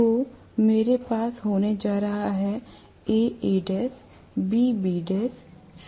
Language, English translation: Hindi, So, I am going to have may be A A dash, B B dash, C C dash